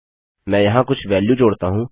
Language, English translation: Hindi, Let me add some value here